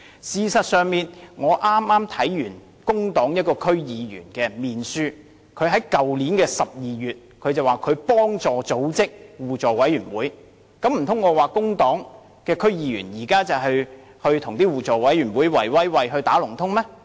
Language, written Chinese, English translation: Cantonese, 事實上，我剛剛看到一位工黨區議員的面書，他在去年12月說，他協助組織了一個互委會，難道我又說工黨的區議員與互委會"圍威喂"、"打龍通"嗎？, In fact I have just browsed the Facebook page of a DC member of the Civic Party who said in December last year that he had assisted in the forming of a mutual aid committee . Can I say similarly that the DC member of the Civic Party practised cronyism and colluded with the mutual aid committee?